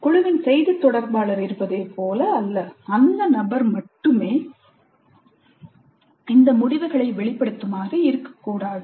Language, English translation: Tamil, It's not like there is a spokesman for the group and only that person expresses all these conclusions